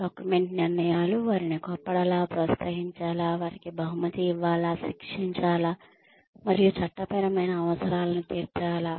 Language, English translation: Telugu, Document decisions, whether to fire them, whether to promote them, whether to reward them, whether to punish them, and meeting legal requirements, of course